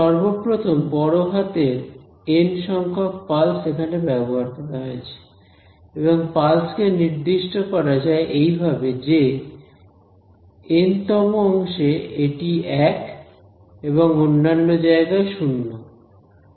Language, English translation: Bengali, So, first of all there are capital N pulses that I have used the definition of this pulse is that it is 1 inside the nth segment and 0 everywhere else right